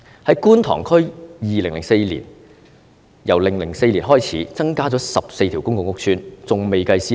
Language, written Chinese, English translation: Cantonese, 在觀塘區由2004年開始，增加了14個公共屋邨，還未計算私樓。, In Kwun Tong District since 2004 there have been 14 additional public housing estates and private buildings have not yet been taken into account